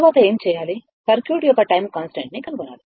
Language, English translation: Telugu, Next, what we have to do is, we have to find out the time constant of the circuit